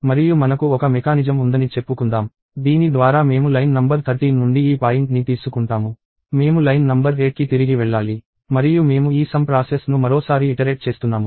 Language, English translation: Telugu, And let us say I have a mechanism by which I take this point from line number 13; I need to go back to line number 8; and I iterate this whole process once more